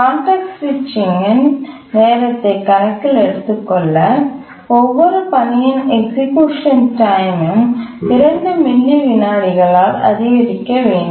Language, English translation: Tamil, To take the context switching time into account, we need to increase the execution time of every task by 2 milliseconds